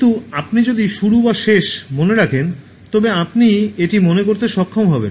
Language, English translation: Bengali, But if you get either the beginning or the end, so you will be able to remember this